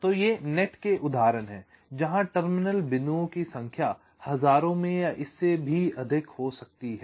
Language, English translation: Hindi, so these are examples of nets where the number of terminal points can run into thousands or even more